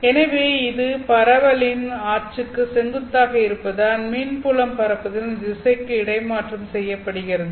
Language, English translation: Tamil, So, this perpendicular to the axis of propagation means that the electric field is transverse to the direction of propagation